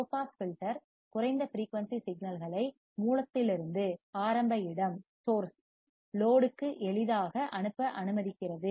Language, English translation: Tamil, Low pass filter allows for easy passage of low frequency signals from source to load